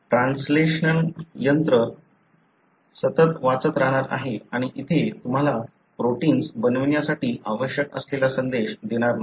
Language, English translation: Marathi, The translation machinery is going to read continuous and here, it is not going to give you the message that is required for making the protein